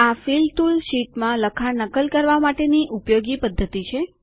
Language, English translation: Gujarati, The Fill tool is a useful method for duplicating the contents in the sheet